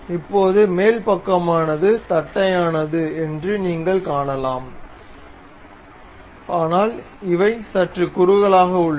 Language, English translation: Tamil, So, now you can see the top side is flat one, but these ones are slightly tapered